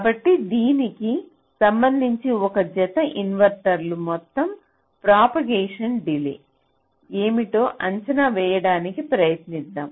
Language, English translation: Telugu, so with respect to this, let us try to estimate what will be the total propagation delay of this pair of inverters